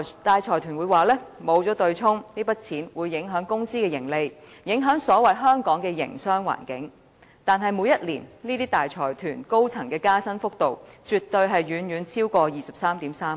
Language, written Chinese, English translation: Cantonese, 大財團聲稱，沒有對沖機制，這筆金額會影響公司的盈利，影響所謂的"香港的營商環境"，但每年這些大財團高層人員的加薪幅度，絕對遠超過 233,000 元。, The consortiums claim that without the offsetting mechanism the amount they have to pay will affect their profits as well as the so - called Hong Kongs business environment . Yet the pay rise for their senior staff well exceeds 233,000 each year